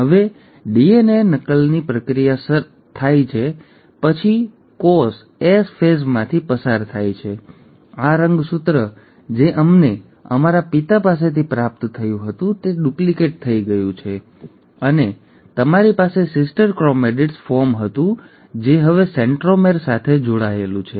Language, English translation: Gujarati, Now after the process of DNA replication has happened, the cell has undergone the S phase, this chromosome that we had received from our father got duplicated and you had the sister chromatid form which is now attached with the centromere